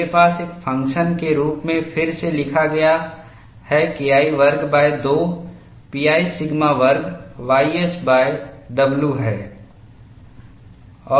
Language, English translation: Hindi, I have the function rewritten as a plus K 1 square divided by 2 pi sigma square ys whole divided by w